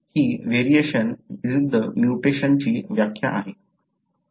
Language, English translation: Marathi, This is the definition for variation versus mutation